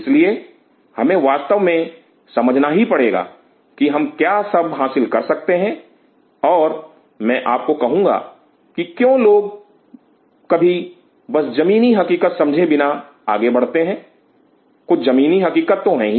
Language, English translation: Hindi, So, we have to really know what all you can achieve and I will tell you that why a times people just get without realizing the ground realities, there is certain ground realities